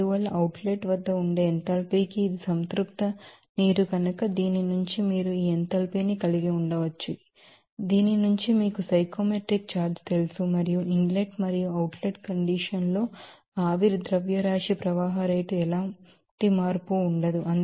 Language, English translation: Telugu, Therefore, to the enthalpy there at outlet also since it is a saturated water one bar again you can have this enthalpy from this you know psychometric chart and no change in steam mass flow rate in the inlet and outlet condition